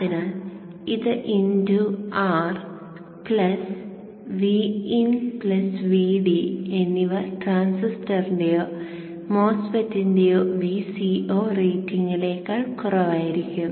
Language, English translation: Malayalam, So this into R V N plus V D should be less than V C E O rating of the transistor or the MOSFET